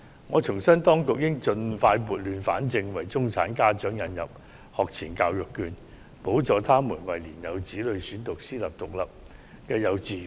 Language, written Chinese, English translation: Cantonese, 我重申當局應盡快撥亂反正，為中產家長引入學前教育券，補助他們為年幼子女選讀私立獨立幼稚園的開支。, I wish to reiterate that the Government should restore the chaotic situation back to normal as soon as possible by introducing pre - primary education vouchers for middle - class parents to subsidize their small children to study in private independent kindergartens